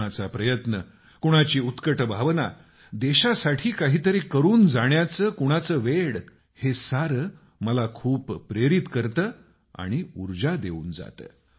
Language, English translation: Marathi, Someone's effort, somebody's zeal, someone's passion to achieve something for the country all this inspires me a lot, fills me with energy